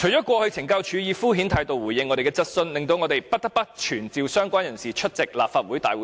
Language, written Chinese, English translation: Cantonese, 過去懲教署以敷衍態度回應我們的質詢，令我們不得不傳召相關人士出席立法會會議。, CSDs sluggish response in the past have make it necessary for us to summon the relevant persons to the Council now